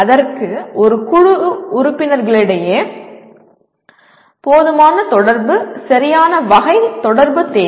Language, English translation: Tamil, That requires adequate communication between the group members, the right kind of communication